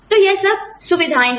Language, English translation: Hindi, So, those are all the perks